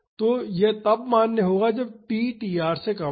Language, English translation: Hindi, So, this will be valid when t is less than tr